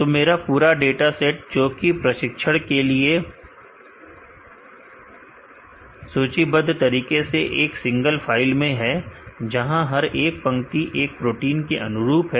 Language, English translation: Hindi, So, my entire dataset for training is listed in a single file, where each row correspond to each protein